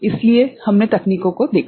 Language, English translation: Hindi, So, we saw the techniques